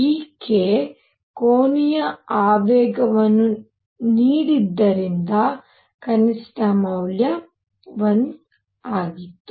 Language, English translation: Kannada, Since this k gave the angular momentum the minimum value was 1